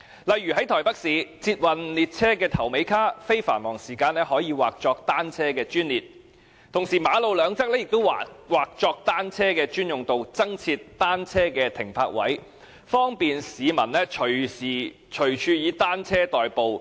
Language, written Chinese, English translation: Cantonese, 例如在台北市，捷運列車的頭尾車卡，在非繁忙時間可以劃作單車的專列，同時馬路兩側亦劃作單車的專用道，增設單車的停泊位，利便市民隨時隨處以單車代步。, For example in Taipei City the first and last cars of the Rapid Transit trains can be designated for bicycles during non - peak hours; at the same time bicycle - only lanes can be delineated on both sides of the road; and parking spaces for bicycles can also be increased to facilitate people commuting by bicycles anytime anywhere